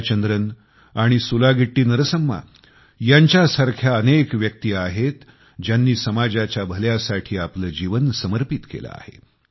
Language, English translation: Marathi, Jaya Chandran and SulagittiNarsamma, who dedicated their lives to the welfare of all in society